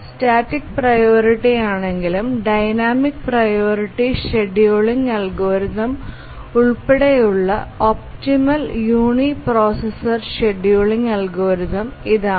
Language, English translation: Malayalam, It is the optimal uniprocessor scheduling algorithm including both static priority and dynamic priority scheduling algorithms